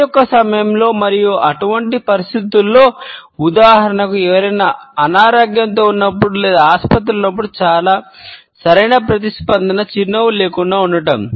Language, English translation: Telugu, In sittings of work and in those situations, which are considered to be serious for example, when somebody is dealing with illness etcetera or is in hospital the most appropriate response is one that is reserved with no smile